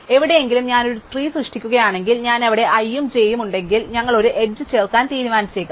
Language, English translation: Malayalam, Now, if anywhere if I create a tree, supposing I add an edge and supposing I take some i there and some j here, we may decide to add an edge